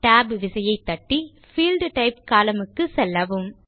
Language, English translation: Tamil, Use the Tab key to move to the Field Type column